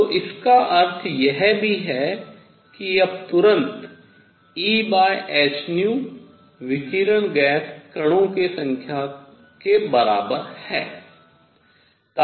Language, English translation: Hindi, So, this also implies then immediately that E over h nu is equal to the number of radiation gas particles